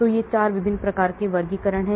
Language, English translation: Hindi, So these are the 4 different types of classifications